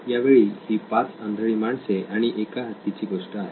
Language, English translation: Marathi, This time it’s a story of 5 blind men and the elephant